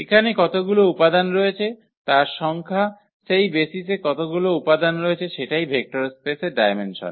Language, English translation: Bengali, So, here the number how many elements are there, how many elements are there in that basis that is called the dimension of the vector space